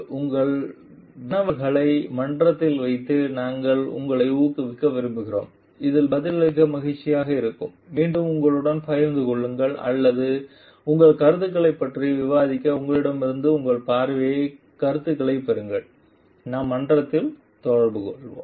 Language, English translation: Tamil, We will like encourage you to put your queries in the forum which will be happy to answer and again share with you or discuss with your views get your viewing views from you and we will be interacting in the forum